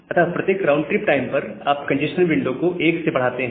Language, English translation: Hindi, So, at every round trip time, we approximate the increase of congestion window based on this formula